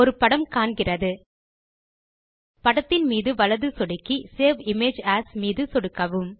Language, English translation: Tamil, Now right click on the image and choose the Save Image As option